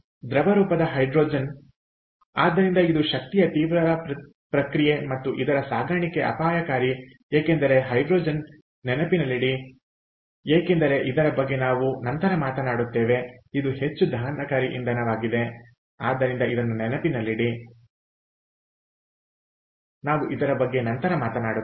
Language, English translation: Kannada, so this is an energy intensive process and transport is hazardous because hydrogen again, keep in mind as we will talk later is a highly combustible fuel